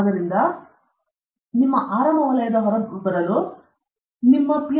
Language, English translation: Kannada, So, sooner than later you have to come out of your comfort zone and leave your Ph